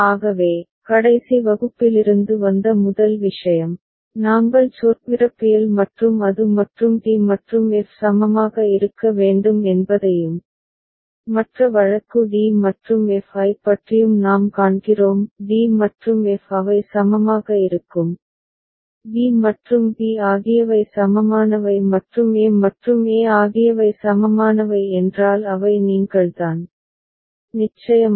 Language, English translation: Tamil, So, the first thing from the last class the discussion we had the tautology and all we see that it is implied and d and f need to be equivalent and what about the other case d and f; d and f they will be equivalent, if b and b are equivalent and a and a are equivalent which are thee I mean, of course the case